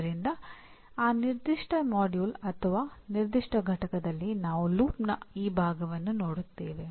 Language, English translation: Kannada, So presently in this particular module or this particular unit we will look at this part of the loop